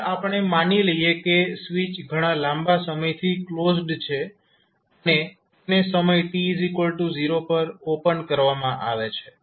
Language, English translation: Gujarati, Now, we assume that switch has been closed for a long time and it was just opened at time t equal to 0